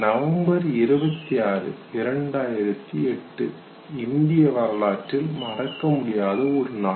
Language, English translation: Tamil, November 26, 2008 would always be remembered in the history